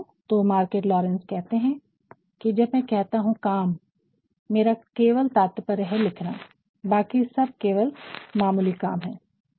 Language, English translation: Hindi, So, what Margaret Laurence says is when I say work I only mean writing, everything else is just our jobs